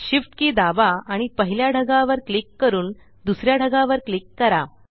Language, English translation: Marathi, Press the Shift key and click the first cloud and then click on the second